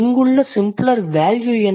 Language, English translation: Tamil, So, what is the simpler value here